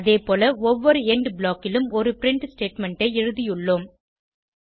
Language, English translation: Tamil, Similarly, we have written one print statement in each END block